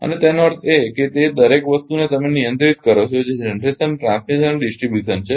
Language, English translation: Gujarati, And; that means, it is actually you yourself controlling everything that your generation, transmission and distribution